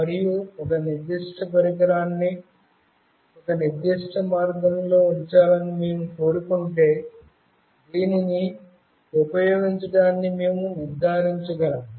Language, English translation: Telugu, And if we want a particular device to be placed in a particular way, we can ensure that using this